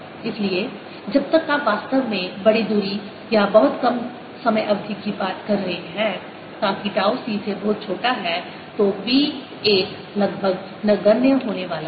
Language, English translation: Hindi, so unless you are really talking large distances or very short time period, so that c tau is very small, the, the, the b one is going to be almost negligible